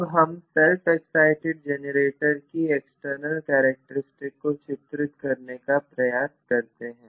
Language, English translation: Hindi, Now, let try to draw the external characteristics for this self excited generator